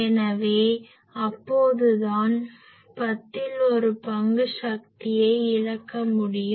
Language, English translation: Tamil, So, that is why that means, one tenth of the power can be made to lost